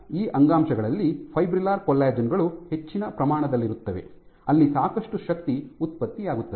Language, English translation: Kannada, So, the fibrillar collagens are present in high content in those tissues where lots of forces get generated